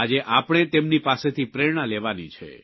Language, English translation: Gujarati, Today, we shall draw inspiration from them